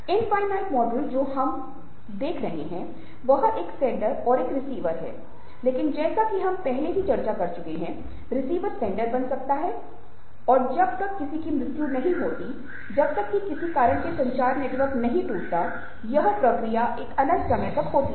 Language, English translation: Hindi, so when the infinite model, what we are looking at is a sender and a receiver, but, as we have already discussed, the receiver becomes the sender and unless somebody dies, unless for some reason the communication network breaks down, this process is an infinite process